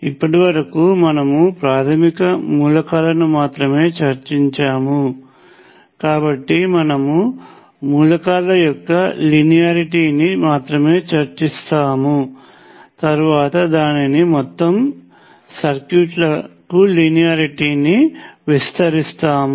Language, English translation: Telugu, Right now, we only discussed basic elements, so we will only discuss linearity of elements, later we will expand it to linearity of entire circuits